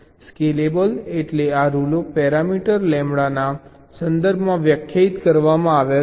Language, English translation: Gujarati, scalable means this rules are defined in terms of a parameter, lambda, like, lets say